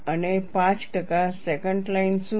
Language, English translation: Gujarati, And what is the 5 percent secant line